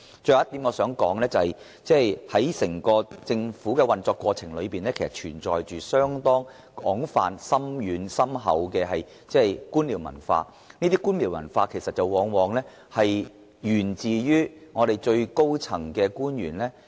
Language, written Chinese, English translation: Cantonese, 最後，我想指出政府的整個運作，其實存在廣泛而深厚的官僚文化，這種文化往往來自最高層的官員。, Lastly I wish to point out that the entire operation of the Government actually reflects a widespread and deep - rooted bureaucratic culture which often originates from officials at the very top . Firstly some high - ranking officials cannot set good examples themselves